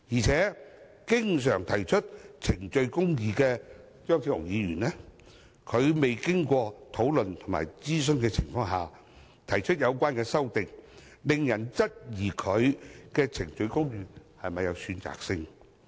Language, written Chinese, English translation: Cantonese, 此外，經常提倡程序公義的張超雄議員，在未經討論和諮詢的情況下提出有關修正案，令人質疑他的程序公義是否有選擇性。, Moreover Dr Fernando CHEUNG who has frequently advocated procedural justice has proposed such amendments in the absence of discussion and consultation . It invites doubts about whether he practises procedural justice selectively